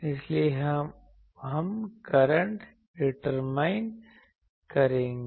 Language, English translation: Hindi, So, we will determine the current